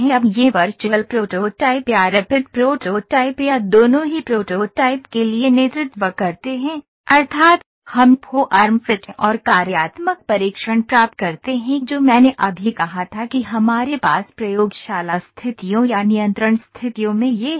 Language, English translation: Hindi, Now these virtual prototyping or rapid prototyping or both lead to the prototypes, that is ,we get form fit and functional testing which I just said that we have this in laboratory conditions or control conditions